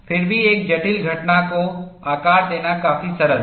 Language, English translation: Hindi, Nevertheless, it is quite simple to model a complex phenomenon